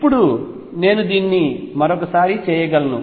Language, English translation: Telugu, Now, I can do it one more time